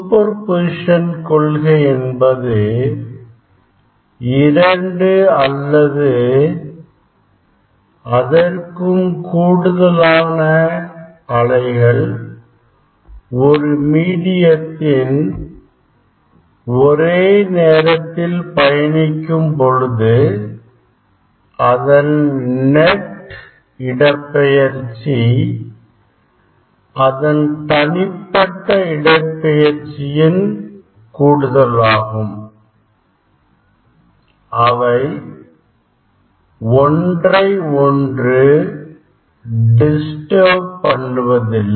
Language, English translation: Tamil, principle of superposition states that whenever two or more waves travelling through the same medium at the same time, the net displacement at any point in space of time, is simply the sum of the individual wave displacement